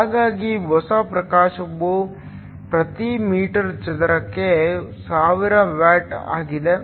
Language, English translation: Kannada, So, new illumination is 1000 watts per meter square